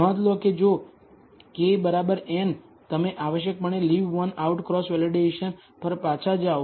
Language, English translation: Gujarati, Notice that if k equals n, you are essentially going back to Leave One Out Cross Validation